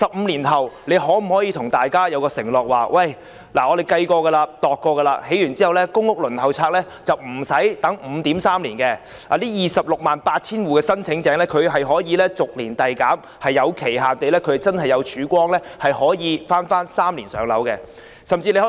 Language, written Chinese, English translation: Cantonese, 政府可否向大家承諾，表明在這些單位建成後，公屋輪候時間不會再長達 5.3 年 ，268,000 戶的公屋申請者將逐年遞減，可在某個期限內真正做到3年"上樓"？, Can the Government promise that with the completion of these units the PRH waiting time will be shortened from 5.3 years and the number of PRH applicants will be reduced from 268 000 year after year to meet the target of allocating PRH units within three years in a specified time frame?